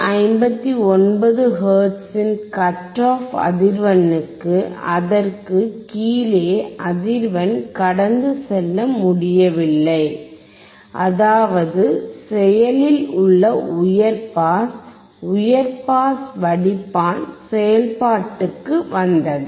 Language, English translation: Tamil, And we could see that for the cut off frequency of 159 hertz, below that the frequency could not pass that is the active high pass the high pass filter came into play